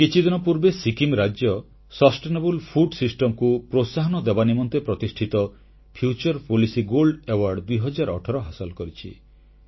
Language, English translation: Odia, A few days ago Sikkim won the prestigious Future Policy Gold Award, 2018 for encouraging the sustainable food system